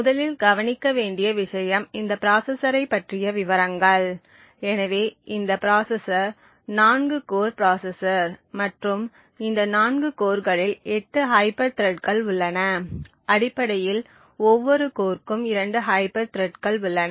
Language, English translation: Tamil, The 1st thing to note is details about this processor, so this processor is 4 cores processor and these 4 cores there are 8 hyper threats, essentially per core as 2 hyper threads